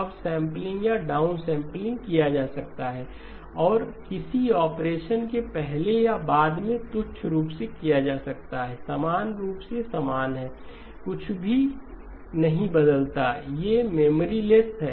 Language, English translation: Hindi, Upsampling or downsampling can be done and sort of trivially any scale factor can be done before or after a operation, is identically equal to, does not change anything, these are memoryless